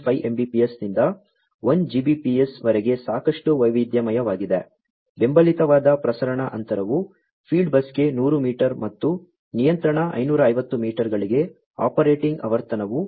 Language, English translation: Kannada, 5 Mbps to 1Gbps, transmission distance that is supported is 100 meters for field bus and for control 550 meters, operating frequency is 13